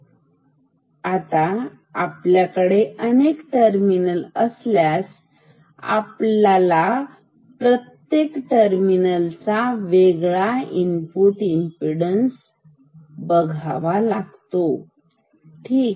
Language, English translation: Marathi, So, now, if we have many terminals, we will have many input impedance for each of the individual terminals ok